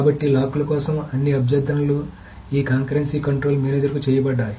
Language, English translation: Telugu, So all requests for locks are made to this concurrency control manager